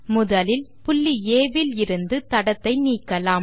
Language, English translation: Tamil, First lets remove the trace from point A